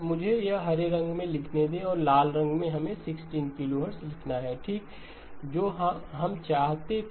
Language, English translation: Hindi, Let me write this one in green and in red let us write the 16 kilohertz okay which is exactly what we wanted